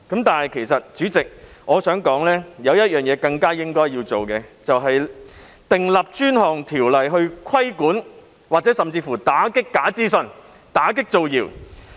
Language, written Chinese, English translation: Cantonese, 但是，主席，我想說的是有一件更需要我們去做的事情，那就是訂立專項條例來規管——甚至乎打擊——假資訊以打擊造謠。, That said President I wish to talk about the one thing that has a greater need for us to take action and it is enacting a dedicated ordinance to regulate―or even to combat―misinformation so as to scotch rumours